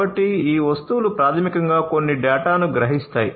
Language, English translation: Telugu, So, these objects basically will sense certain data